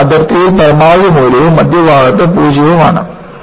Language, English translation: Malayalam, It is, maximum at the boundary and 0 at the center